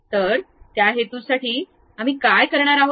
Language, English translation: Marathi, So, for that purpose, what we are going to do